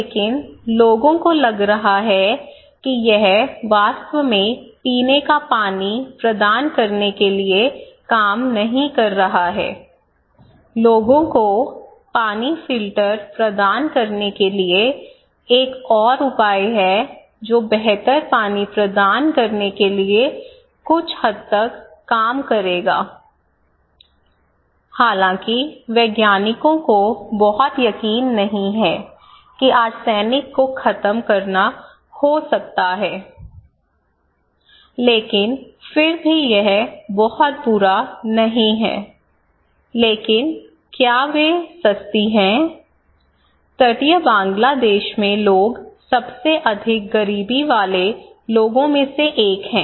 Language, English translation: Hindi, But people are finding that this is not really working at all to provide drinking water, there is another solution to provide water filter to the people which would work some extent not badly to provide a better water though scientists are not very sure that it can really reduce the arsenic, eliminate arsenic but still it is not very bad, but are they affordable; the people in coastal Bangladesh are one of the most poverty striking people, okay